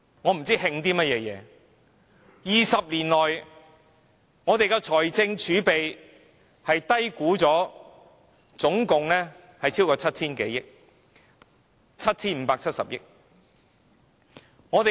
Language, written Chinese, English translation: Cantonese, 我不知道慶祝甚麼 ，20 年來，我們的財政儲備被低估了超過 7,000 多億元，正確是 7,570 億元。, I do not know what is worth celebrating . In the past 20 years the fiscal reserve has been undervalued by over 700 - odd billion or 757 billion to be exact